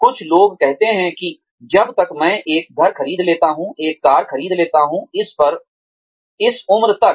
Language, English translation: Hindi, Some people say that, as long as, I, buy a house, buy a car, at this, by this, age